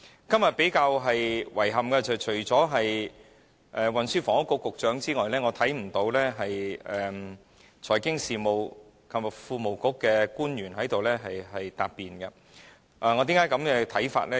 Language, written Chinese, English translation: Cantonese, 今天較令人感到遺憾的是，除了運輸及房屋局局長之外，財經事務及庫務局並沒有派出官員前來答辯，為何我有此看法呢？, We find it a bit regrettable that apart from the Secretary for Transport and Housing no official from the Financial Services and the Treasury Bureau is present today to give a reply on the Bill and why do I think so?